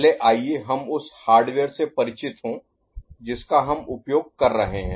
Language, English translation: Hindi, First, let us get familiarized with the hardware that we are using